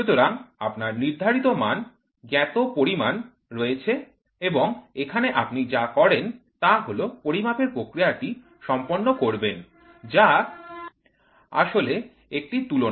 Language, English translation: Bengali, So, you have Standards and here what you do is the process of measurement happens that is a comparison